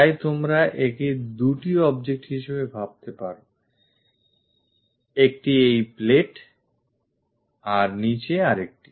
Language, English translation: Bengali, So, you can think of it like two objects; one is this plate bottom one